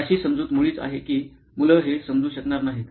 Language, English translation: Marathi, The assumption is the children are not able to figure this out